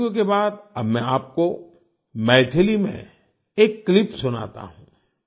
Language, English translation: Hindi, After Telugu, I will now make you listen to a clip in Maithili